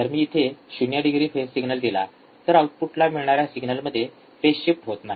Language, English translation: Marathi, When I assume that this is a 0 degree phase, then at the output I will have no phase shift